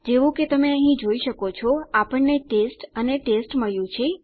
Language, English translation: Gujarati, As you can see over here, we got test and test